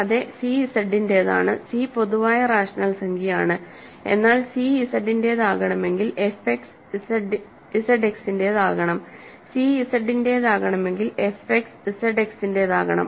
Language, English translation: Malayalam, Further, c belongs to Z, the c is in general rational number, but c belongs to Z if and only if f X itself belongs to Z X, ok, c belongs to Z if and only if f X is in Z X